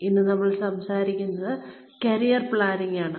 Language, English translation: Malayalam, Today, we will be talking about, Career Planning